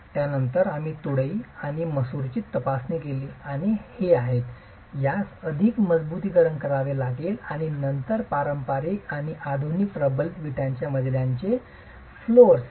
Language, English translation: Marathi, We then examined beans and lintels and these have to be reinforced and then different types of brick floors between traditional and modern reinforced brick floors